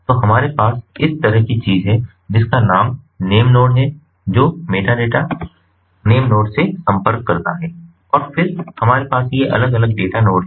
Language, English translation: Hindi, we have the name node, like this, which contacts the metadata, the name node, and then we have these different data nodes